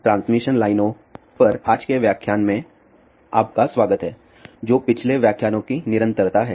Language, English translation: Hindi, Welcome to today's lecture on Transmission Lines which is continuation of the previous lectures